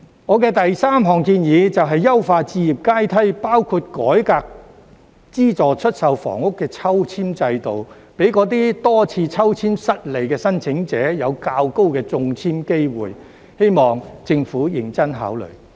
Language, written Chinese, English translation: Cantonese, 我的第三項建議，就是優化置業階梯，包括改革資助出售房屋的抽籤制度，給那些多次抽籤失利的申請者有較高的中籤機會，希望政府認真考慮。, My third suggestion is to enhance the home ownership ladder including reforming the balloting system for subsidized sale housing so that those applicants who have been unsuccessful in the balloting for many times can have a higher chance of succeeding . I hope the Government will give some serious thought to this